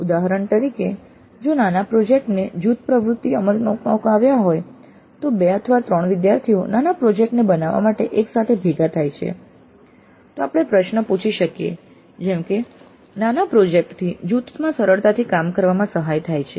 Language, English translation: Gujarati, For example, if the mini project is implemented as a group activity, two or three students combining together to execute the mini project, then we can ask a question like the mini project helped in working easily in a group